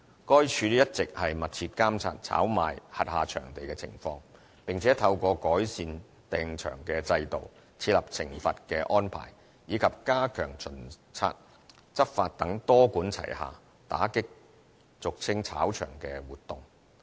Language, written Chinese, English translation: Cantonese, 該署一直密切監察炒賣轄下場地的情況，並且透過改善訂場制度、設立懲罰安排，以及加強巡察執法等多管齊下，打擊俗稱"炒場"的活動。, LCSD has been closely monitoring touting activities in its venues . Adopting a multipronged approach the Department combats touting activities by improving the booking system putting in place penalty arrangement and stepping up inspection and so on